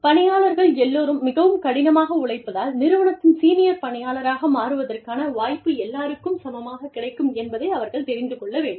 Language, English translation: Tamil, They know that, if they work hard enough, everybody could have an equal chance, of becoming a senior employee, of the organization